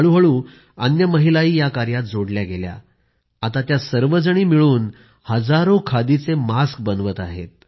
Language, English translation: Marathi, Gradualy more and more women started joining her and now together they are producing thousands of khadi masks